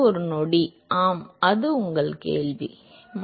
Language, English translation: Tamil, One second, yeah what is your question